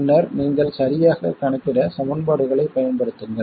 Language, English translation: Tamil, And then you use equations to accurately calculate